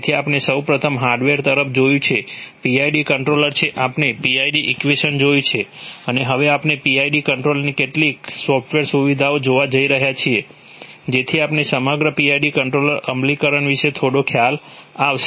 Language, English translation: Gujarati, So we first looked at the hardware the PID controller we have looked at the PID equation and now we are going to look at some of the software features of the PID controller, so that we have a we have some idea about the whole PID controller implementation